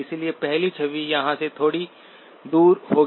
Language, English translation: Hindi, So the first image will be just slightly away from here